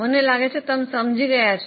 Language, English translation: Gujarati, I hope you are getting it